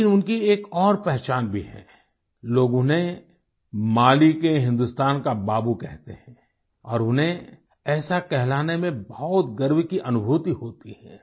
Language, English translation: Hindi, But he also has another identity people call him Hindustani's Babu, and, he takes great pride in being called so